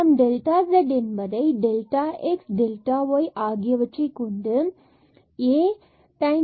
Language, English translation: Tamil, So, this delta z is delta x delta y over delta x square plus delta y square and d z is 0